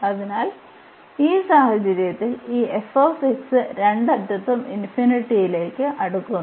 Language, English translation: Malayalam, So, in this case when we have this f x is approaching to infinity at both the ends